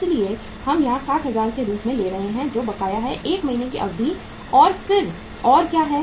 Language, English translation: Hindi, So we are taking here as 60,000 which is outstanding for a period of 1 month and then what else is there